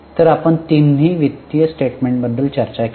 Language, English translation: Marathi, So, we discussed about all the three financial statements